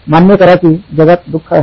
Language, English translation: Marathi, Acknowledge that there is suffering in the world